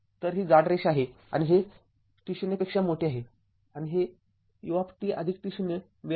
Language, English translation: Marathi, So, this is thick line and this is your greater than t 0 right and it is it is u t plus t 0 time right